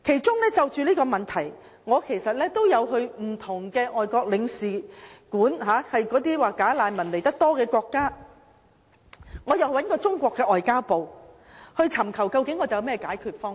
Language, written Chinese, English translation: Cantonese, 就這個問題，我有到訪那些"假難民"原本所屬國家的駐港領事館，我亦到訪中國外交部駐港特派員公署，尋求解決方法。, In respect of this issue I have visited the consulates of the countries of origin of these bogus refugees in Hong Kong and the Office of the Commissioner of the Ministry of Foreign Affairs in Hong Kong in order to find a solution